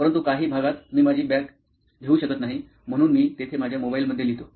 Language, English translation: Marathi, But in some areas I cannot take my bags, so there I write in my mobile phone